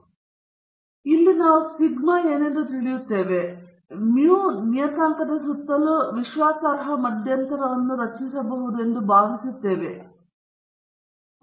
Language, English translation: Kannada, So, here we are assuming that sigma is known to us and then we can construct a confidence interval around the parameter mu, the population mean okay